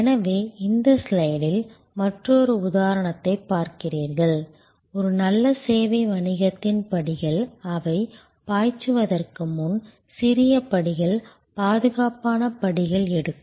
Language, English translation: Tamil, So, you see another example here in this slide, the steps followed by a good service business, which takes small steps, secure steps, before they take the leap